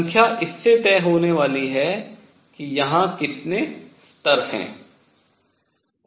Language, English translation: Hindi, Number is going to be decided by how many levels are there